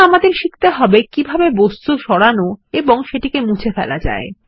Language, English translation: Bengali, Now let us learn how to move and delete objects